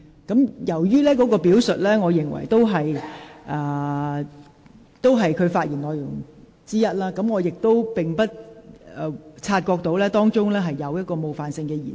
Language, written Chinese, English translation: Cantonese, 我留意到該段表述屬於譚議員發言內容的一部分，我不察覺當中有冒犯性的言詞。, I noticed that the account given by Mr TAM was a part of his speech in which I was not aware of any offensive language